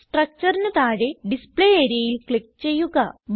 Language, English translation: Malayalam, Click on the Display area below the structure